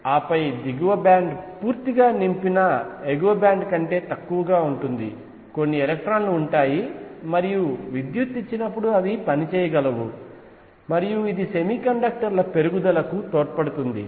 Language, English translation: Telugu, And then the lower band would be less than fully filled upper band would have some electrons and they can conduct when electricity is given, and this gives raise to semiconductors